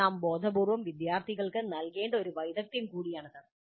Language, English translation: Malayalam, This is also a skill that we must consciously impart to the students